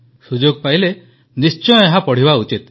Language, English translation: Odia, Given an opportunity, one must read it